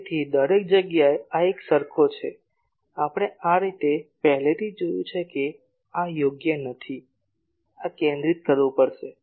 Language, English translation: Gujarati, So, everywhere this is same that we have already seen this way this is not correct, this will have to be centered